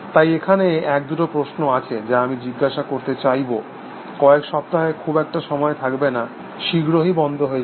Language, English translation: Bengali, So, there are two, so there is a question which I want to, ask a few week do not have too much time, will have to stop soon